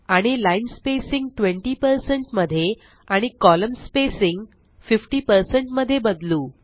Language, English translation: Marathi, And change the line spacing to 20 percent and column spacing to 50 percent